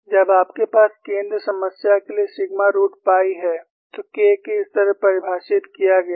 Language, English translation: Hindi, When you have sigma root pi a for the center crack problem, K is defined like that